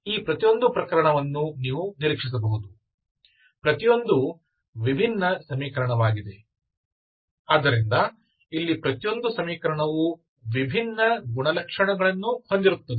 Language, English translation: Kannada, You can expect each of these cases, so each different equation, so each equation here will be different, having a different characteristics, okay